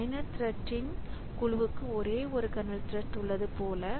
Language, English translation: Tamil, So, this set of user threads, it is bound to the kernel thread